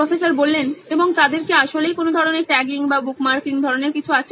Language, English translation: Bengali, And do they actually have some kind of tagging or bookmarking kind of thing